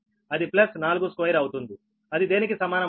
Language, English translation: Telugu, this is given four, so it is plus four